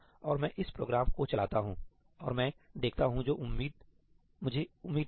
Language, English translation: Hindi, And I run this program and I see what I expected